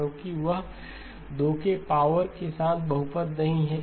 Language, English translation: Hindi, Because that is not a polynomial with power 2